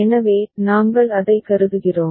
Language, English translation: Tamil, So, we consider that